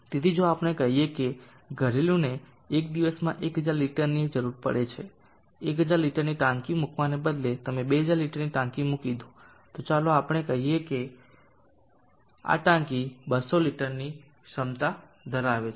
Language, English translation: Gujarati, So consider a typical household the requirement of total discharge volume of that is 1000 liters in a day, so if let us say that household is requiring 1000 liters in a day instead of putting a 1000 liter tank you put 2000 liter tank so let us say this tank is 200 liter capacity